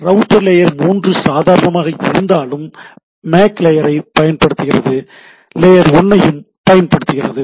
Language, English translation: Tamil, So, as that layer 3 device but also uses MAC layer and so and so forth right